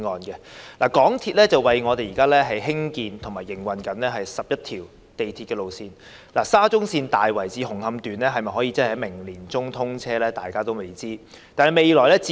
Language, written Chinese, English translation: Cantonese, 香港鐵路有限公司為我們興建及營運了11條鐵路線，當中的沙田至中環線大圍至紅磡段能否在明年年中通車，仍是未知之數。, The MTR Corporation Limited MTRCL has constructed and operates 11 railway lines for us . Whether the Tai Wai to Hung Hom Section of the Shatin to Central Link SCL among them can commission service in the middle of next year is still uncertain